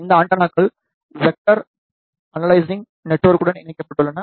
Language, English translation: Tamil, These antennas are connected to vector network analyzer